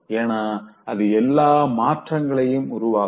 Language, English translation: Tamil, Because that will make all the difference